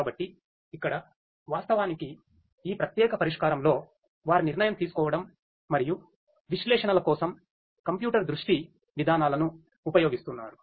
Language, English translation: Telugu, So, here actually this particular solution they are using computer vision mechanisms for the decision making and analytics